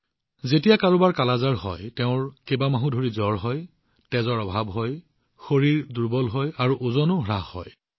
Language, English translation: Assamese, When someone has 'Kala Azar', one has fever for months, there is anemia, the body becomes weak and the weight also decreases